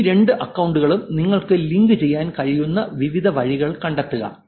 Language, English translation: Malayalam, Find out various ways in which you can actually link these two accounts